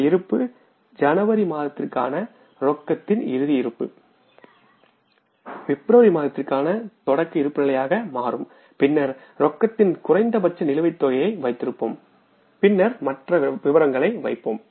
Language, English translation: Tamil, This opening balance of the closing balance of the cash for the month of January will become the opening balance for the month of February and then we'll keep the minimum balance of the cash and then we'll put the other things